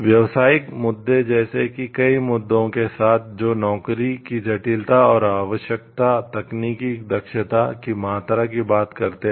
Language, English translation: Hindi, Professional issues, so like with many of the issues which talks of degrees of job complexity and required technical proficiency are introduced